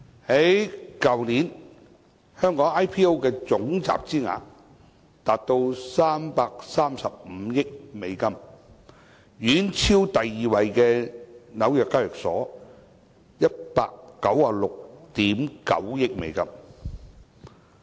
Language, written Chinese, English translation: Cantonese, 去年，香港 IPO 的總集資額達到335億美元，遠超第二位紐約交易所的196億 9,000 萬美元。, Last year Hong Kongs IPO market capitalization reached US33.5 billion in total which was way above the US19.69 billion in the New York Stock Exchange that ranked second